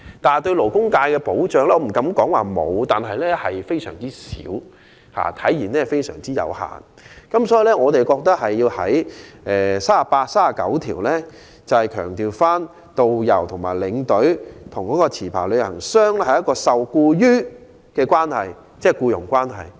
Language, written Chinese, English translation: Cantonese, 至於對勞工界的保障，我不敢說沒有，但非常少及有限，所以我們認為《條例草案》第38及39條應強調導遊和領隊受僱於持牌旅行代理商，即彼此是僱傭關係。, However in respect of labour protection I dare not say the Bill offers no protection but the protection offered is minimal and limited . Therefore in our view clauses 38 and 39 of the Bill should highlight the employer - employee relationship between travel agents and tourist guidestour escorts indicating that the latter are employed by the former